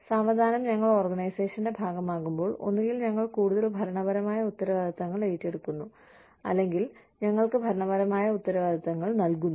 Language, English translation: Malayalam, And, slowly, as we become part of the organization, we either take on more administrative responsibilities, or, we are given administrative responsibilities